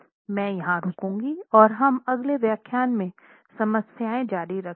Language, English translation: Hindi, I'll stop here and we will continue our design problems in the next lecture